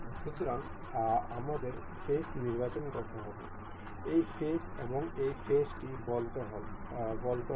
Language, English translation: Bengali, So, for we will have to select the face say this face and this face